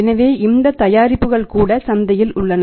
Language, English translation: Tamil, So, even these products are there in the market